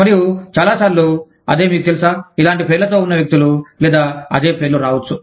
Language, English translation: Telugu, And, so many times, the same, you know, people with similar names, or, the same names, may come up